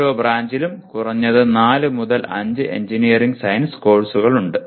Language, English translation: Malayalam, Each branch has at least 4 5 engineering science courses